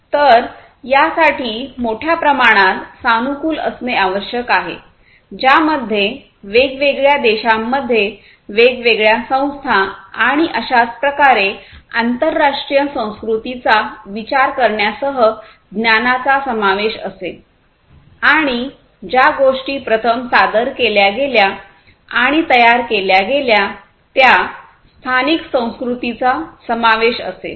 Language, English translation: Marathi, So, mass customization will incorporate the knowledge including the consideration of international culture across different countries, different societies, and so on and also the local culture where things have been introduced and produced first